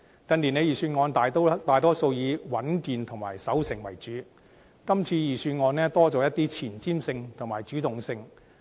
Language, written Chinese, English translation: Cantonese, 近年預算案大多數以穩健和守成為主，今次預算案增加了一些前瞻性和主動性。, The Budgets in recent years are mainly being stable and conservative whereas this Budget is more forward - looking and proactive